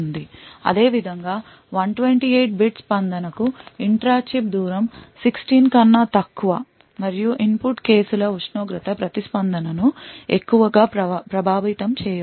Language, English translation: Telugu, Similarly, intra chip distance is less than 16 for a 128 bit response and input cases the temperature does not affect the response much